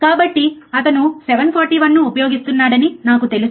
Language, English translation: Telugu, So, I am sure that he is using 741, alright